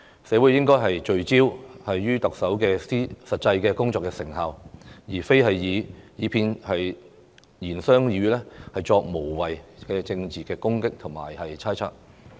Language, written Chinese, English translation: Cantonese, 社會應聚焦於特首的實際工作成效，而非以其片言隻語作無謂的政治攻擊和猜測。, Society should focus on the actual effectiveness of the Chief Executives efforts instead of making pointless political attacks and speculations based on merely a few words